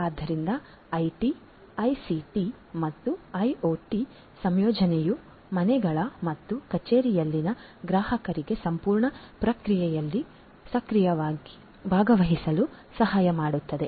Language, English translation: Kannada, So, the incorporation of IT, ICT and IoT can essentially help the end consumers in the homes and offices to actively participate to actively participate in the entire process